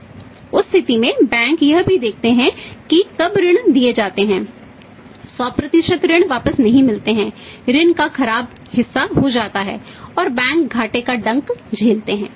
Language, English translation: Hindi, In case of the banks also we see that went the loans are given 100% to the loans are not recovered back part of the loan become the bad and bank said to be at the burnt to bear the losses